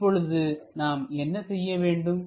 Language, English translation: Tamil, In that case what we have to do